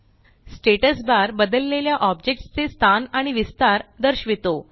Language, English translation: Marathi, The Status bar shows the change in position and dimension of the object